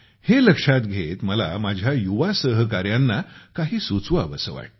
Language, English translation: Marathi, In view of this, I have an idea for my young friends